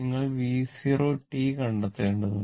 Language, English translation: Malayalam, You have to find out your V 0 t